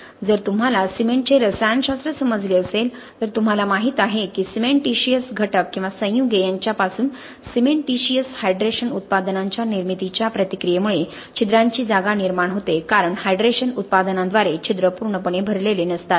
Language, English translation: Marathi, If you have understood cement chemistry you know that the reaction of formation of cementitious hydration products from the cementitious components or compounds leads to the generation of pores spaces because you do not have a complete filling of the pores by the hydration products